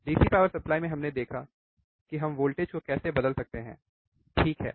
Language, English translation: Hindi, In DC power supply we have seen how we can change the voltage, right